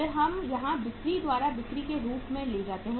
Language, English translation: Hindi, Then we take here as sales by sales